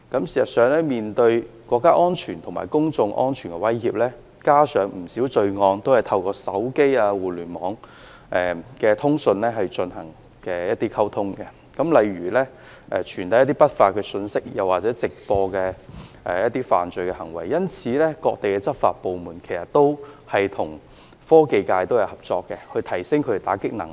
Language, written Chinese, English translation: Cantonese, 事實上，面對國家安全及公眾安全的威脅，加上不少罪行都是透過手機、互聯網等通訊渠道進行溝通，例如傳遞一些不法信息或直播犯罪行為等，故此各地的執法部門均會與科技界合作，以加強其打擊罪行的能力。, As a matter of fact in the face of threats to national security and public safety coupled with the fact that the communications in many crimes are conducted through such communication channels as mobile phones and the Internet for instance the transmission of some illegal information or live broadcast of crimes etc law enforcement agencies around the world would hence cooperate with the technology sector to enhance their capabilities of combating crimes